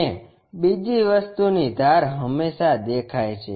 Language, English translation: Gujarati, And, second thing edges are always be visible